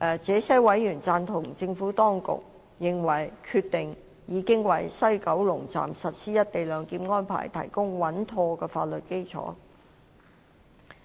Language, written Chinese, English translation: Cantonese, 這些委員贊同政府當局，認為《決定》已經為在西九龍站實施"一地兩檢"安排提供穩妥的法律基礎。, These members concur with the Administration that the Decision has provided a sound legal basis for implementing the co - location arrangement at WKS